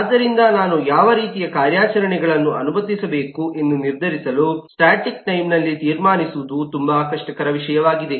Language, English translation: Kannada, so it may be very difficult to conclude, at the static time to decide what kind of operations I should allow